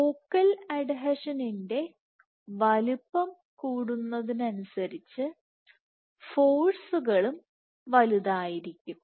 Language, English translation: Malayalam, So, on these focal adhesion growths the forces that are required